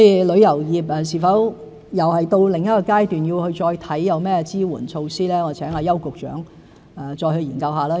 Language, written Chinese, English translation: Cantonese, 旅遊業是否又到另一階段，要再檢視有甚麼支援措施，我請邱局長再作研究。, I would ask Secretary YAU to study further whether we have reached another stage and see if any support measures are available to the tourism industry